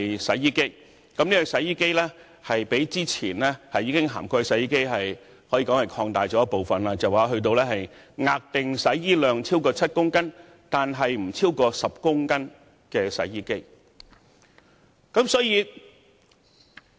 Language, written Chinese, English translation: Cantonese, 洗衣機在上一階段已涵蓋，但現階段擴大至額定洗衣量超過7公斤，但不超過10公斤的洗衣機。, Washing machines are already covered in the previous phase but the proposed phase extends the coverage to washing machines with rated washing capacity exceeding 7 kg but not exceeding 10 kg